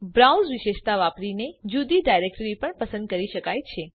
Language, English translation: Gujarati, Using the browse feature, a different directory can also be selected